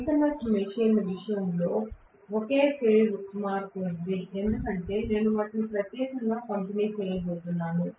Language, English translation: Telugu, Whereas in the case of a synchronous machine there is a phase shift because I am going to have them specially distributed that is the reason right